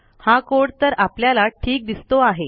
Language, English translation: Marathi, This code looks okay